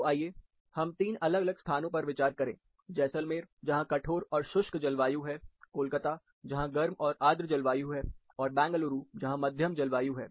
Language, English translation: Hindi, (Refer Slide Time: 02:24) So, let us consider 3 different locations Jaisalmer, which is representing hard and dry climate, Kolkata, representing a warm and humid climate, and Bengaluru, representing a moderate climate